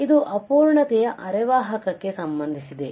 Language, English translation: Kannada, So, it is related to imperfection semiconductor